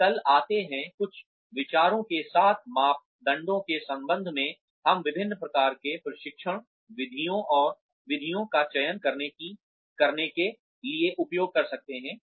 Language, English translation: Hindi, And, come tomorrow, with some ideas, regarding the parameters, we can use to select, different kinds of training methods